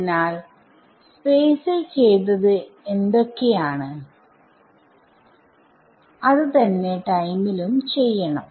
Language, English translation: Malayalam, So, whatever we do for space is what we will do for time